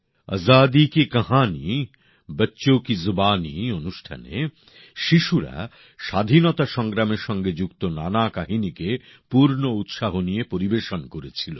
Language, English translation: Bengali, In the programme, 'Azadi Ki Kahani Bachchon Ki Zubani', children narrated stories connected with the Freedom Struggle from the core of their hearts